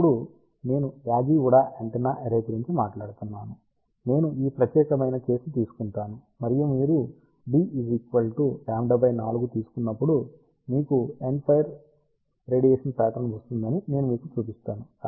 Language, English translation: Telugu, When, I talk about Yagi Uda Antenna array I will take this particular case and I will show you that when you take d around lambda by 4, you get a endfire radiation pattern